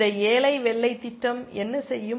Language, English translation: Tamil, What will this poor white program do